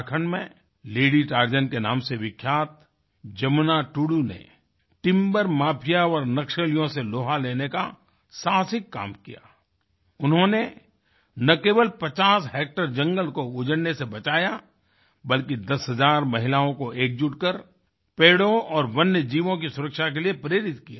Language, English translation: Hindi, JamunaTudu, famous nicknamed 'Lady Tarzan' in Jharkhand, most valiantly took on the Timber Mafia and Naxalites, and not only saved the 50 hectares of forest but also inspired ten thousand women to unite and protect the trees and wildlife